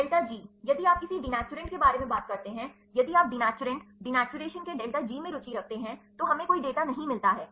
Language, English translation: Hindi, Delta G if you talk about the a denaturant right, if you interested in denaturants denaturation delta G we do not get any data